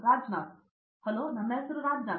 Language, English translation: Kannada, Hello my name is Rajnath